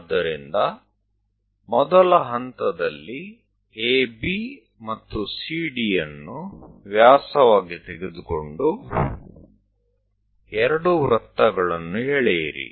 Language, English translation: Kannada, So, first step, we have to draw two circles with AB and CD as diameters